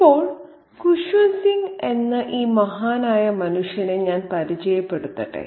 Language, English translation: Malayalam, Now, let me briefly introduce this grand old man of letters, Kushwan Singh